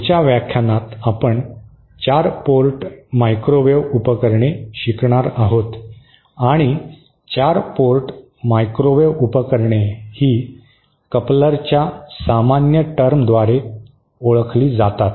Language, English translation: Marathi, In the next lecture, we shall be covering 4 port microwave devices and 4 port microwave devices are known by the general term of coupler